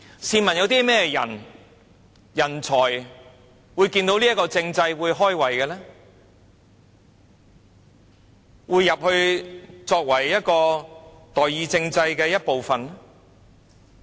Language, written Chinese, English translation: Cantonese, 試問有甚麼人才看到這樣的政制會"開胃"，會加入成為代議政制的一部分呢？, So what kinds of talents on seeing such a political system will be interested in becoming part of the representative government?